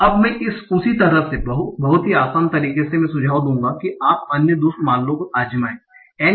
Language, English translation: Hindi, Now in a very similar manner, I will suggest that you try out the other two cases